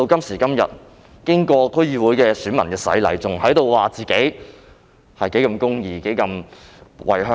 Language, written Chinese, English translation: Cantonese, 時至今天，經歷區議會的洗禮，卻依然在說自己如何公義及如何為香港。, Today after going through the baptism of DC election they still brag about their righteousness and their commitment to Hong Kong